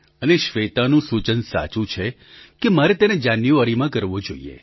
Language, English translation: Gujarati, And Shweta is right that I should conduct it in the month of January